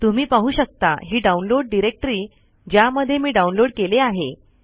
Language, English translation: Marathi, So you can see that this is the downloads directory in which I have downloaded